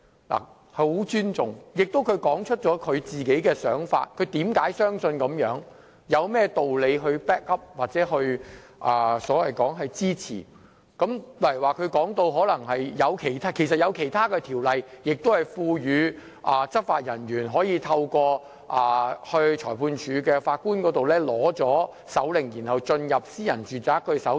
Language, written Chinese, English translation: Cantonese, 我十分尊重她，而她亦說出自己的想法，解釋她為何相信應這樣做，有甚麼道理 back up 或支持自己的論點，例如她談到其實有其他法例亦賦予執法人員可透過向裁判法院申領搜查令後，進入私人住宅搜查。, I deeply respect her . Likewise she has put forward her arguments and ideas backing them up or supporting her points with reason . For example she has explained that there are other ordinances which empower law enforcement officers to enter private premises for inspection with search warrants issued by magistrate courts